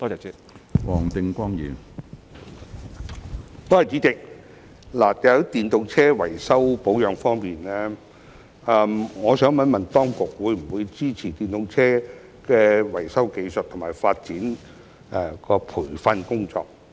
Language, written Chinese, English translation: Cantonese, 主席，在電動車維修保養方面，當局會否支持電動車維修技術和發展的培訓工作？, President regarding repair and maintenance of EVs will the authorities support the training of repair skills and development of EVs?